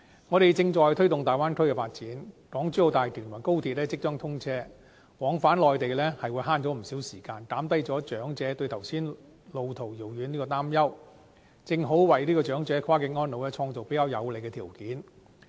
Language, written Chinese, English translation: Cantonese, 我們正在推動粵港澳大灣區的發展，港珠澳大橋和高鐵即將通車，市民往返內地能節省不少時間，減低長者對剛才說路途遙遠的擔憂，正好為長者跨境安老創造比較有利的條件。, The development of the Guangdong - Hong Kong - Macao Bay Area is well underway while the Hong Kong - Zhuhai - Macao Bridge and the Hong Kong Section of Guangzhou - Shenzhen - Hong Kong Express Rail Link will soon commence operation . The shortened journey time will lessen the worry of elderly persons over the long distance between the two places . This is favourable to the development of cross - boundary elderly care